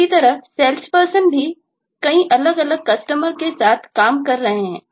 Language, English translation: Hindi, similarly, sales person is also dealing with multiple different customers